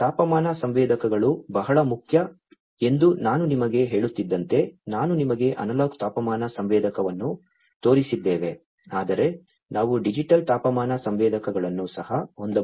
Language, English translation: Kannada, As I was telling you that temperature sensors are very important I have shown you an analog temperature sensor, but we could also have digital temperature sensors